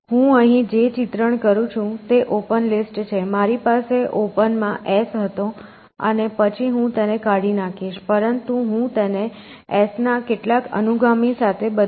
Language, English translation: Gujarati, So, what I am drawing here is open list, I had S in open and then I delete it, but I replace it with some successors of S